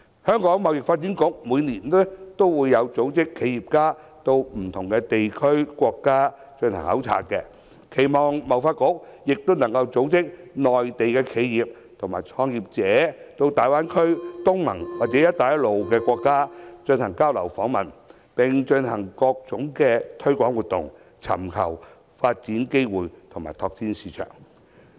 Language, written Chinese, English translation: Cantonese, 香港貿易發展局每年均會組織企業家到不同的地區和國家進行考察，我期望貿發局也能組織內地企業和創業者到大灣區、東盟或"一帶一路"國家進行交流訪問，並進行各種推廣活動，尋求發展機會及拓展市場。, As the Hong Kong Trade Development Council TDC has year after year organized study visits for our entrepreneurs to different places and countries in the world I hope TDC will also organize exchange and visit activities for Mainland enterprises and entrepreneurs to visit the Greater Bay Area ASEAN states or the Belt and Road countries and carry out different promotional activities to look for development opportunities and tap the market